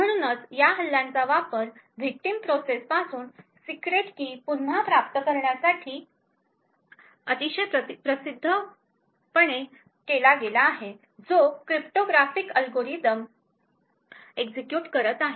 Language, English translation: Marathi, So this attacks has been used very famously retrieve a secret keys from a victim process which is executing a cryptographic algorithm